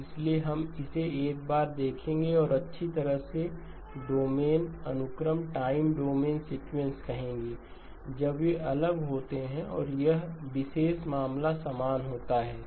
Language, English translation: Hindi, So we will look at this one and say well time domain sequence when they are different and this particular case happen to be the same